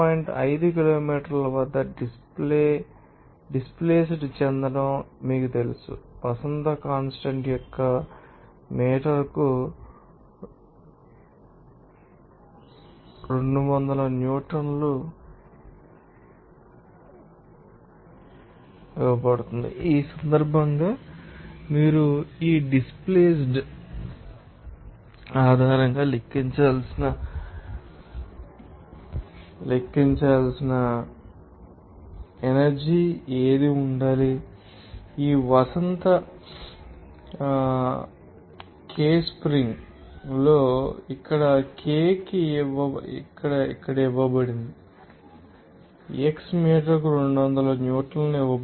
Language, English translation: Telugu, 5 kilometer by each potential energy change, the spring constant is given 200 newton per meter in this case what should be the potential energy that you have to calculate based on this displacement of this spring here K is given here 200 newton per meter x is given